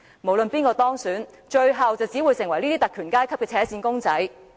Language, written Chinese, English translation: Cantonese, 不論是誰當選，最後只會成為特權階級的扯線公仔。, Regardless of who wins the election he will simply become a puppet of the privileged class in the end